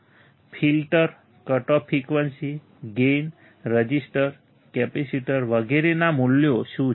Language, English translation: Gujarati, What are the values of the filter, cut off frequency, gain, resistors, capacitors etc